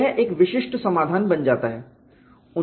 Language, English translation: Hindi, So, you have a generic solution